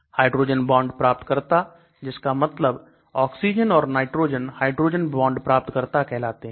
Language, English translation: Hindi, So hydrogen bond acceptors, that means oxygen and nitrogen are called hydrogen bond acceptors